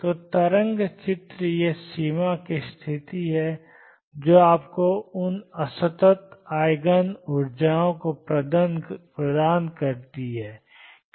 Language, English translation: Hindi, So, in the wave picture it is the boundary condition that gives you those discrete Eigen energies